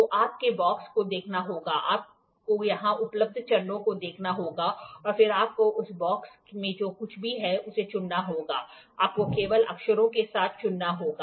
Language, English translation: Hindi, So, you have to look at the box, you have to look at the steps here available and then you have to pick whatever is there in the box you just have to pick with the letters one